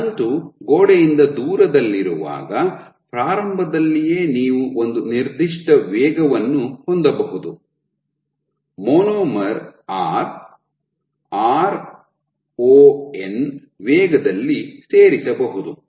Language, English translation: Kannada, So, at the very start when the filament is placed far from the wall you can have a certain rate a monomer can get added at a rate r, ron